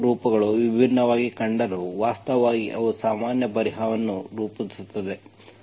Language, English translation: Kannada, Although these 2 forms look different, actually they form the general solution